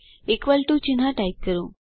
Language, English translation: Gujarati, Type an equal to sign